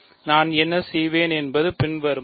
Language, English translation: Tamil, What I will do is the following